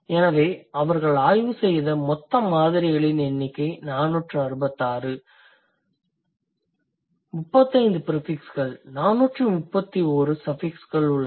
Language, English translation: Tamil, Um, the total number of samples that they have studied is 466, 35 have prefixes, 4131 have suffixes, right